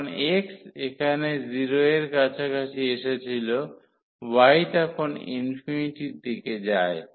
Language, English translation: Bengali, So, x, when x was approaching to 0 here, the y is approaching to infinity